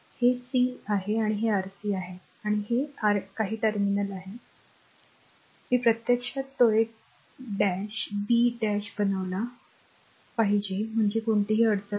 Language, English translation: Marathi, This is c this is your c right and this is your some terminal this is your some terminal, I actually I should it made a dash b dash then there is no problem right